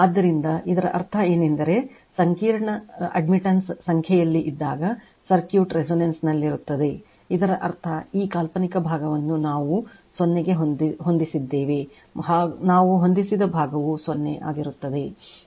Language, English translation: Kannada, So, this this means; that means, circuit is at resonance when the complex admittance is a real number; that means, this one thisthis one this imaginary part we set it to 0 this one we set is to 0